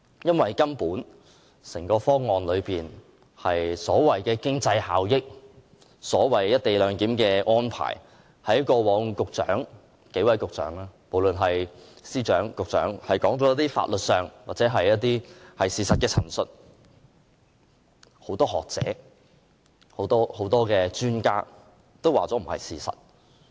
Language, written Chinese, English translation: Cantonese, 因為有關這個方案的經濟效益和"一地兩檢"安排，過往無論是由司長還是數位局長作出的法律或事實陳述，均已被很多學者、專家質疑並非是事實。, Because many academics and experts have pointed out that the various points of law and issues of facts presented by the Secretary for Justice and the several Secretaries in the past regarding the co - location arrangement and its economic efficiency are simply not true